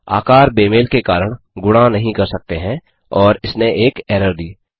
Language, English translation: Hindi, Due to size mismatch, the multiplication could not be done and it returned an error